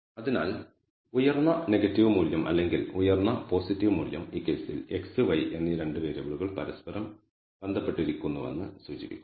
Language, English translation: Malayalam, So, the high negative value or high positive value indicates that the 2 variables x and y in this case are associated with each other